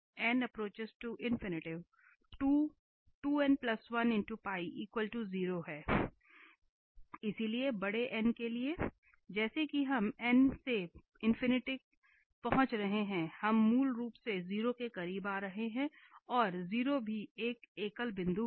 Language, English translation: Hindi, So, for large n as we are approaching n to infinity we are basically approaching to 0 and the 0 is also a singular point